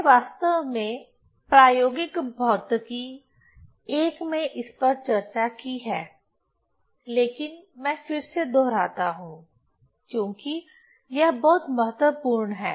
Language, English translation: Hindi, I have actually in experimental physics one I have I have discussed, but I again repeat because this is very important